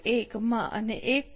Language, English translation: Gujarati, 1 and 1